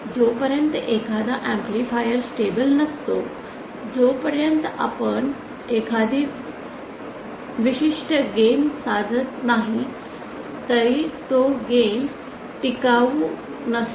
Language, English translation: Marathi, Unless an amplifier is stable even if we achieve a certain gain then that gain not be sustainable